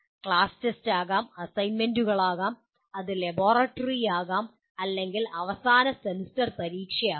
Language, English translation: Malayalam, It could be class test, it could be assignments, it could be laboratory or it could be the end semester examination